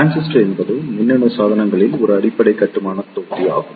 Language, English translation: Tamil, So, transistor is a basic building block in electronic devices